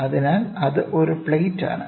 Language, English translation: Malayalam, So, that is a plate